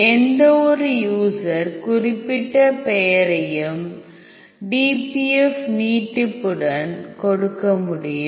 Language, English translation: Tamil, So, you can give any user specified name with a dpf extension